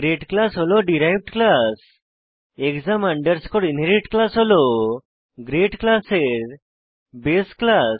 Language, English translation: Bengali, Class grade is the derived class And class exam inherit is the base class for class grade